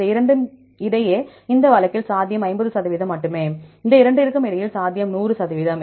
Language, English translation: Tamil, In this case between these two the possibility is only 50 percent, between these two, the possibility is 100 percent